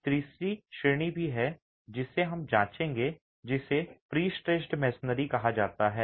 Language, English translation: Hindi, There is also a third category which we will examine which is called pre stressed masonry